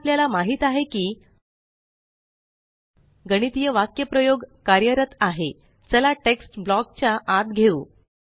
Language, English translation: Marathi, Now that we know that the mathematical expression is working, let us move the text inside the block Let us save and export